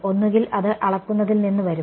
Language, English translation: Malayalam, Either it will come from measurement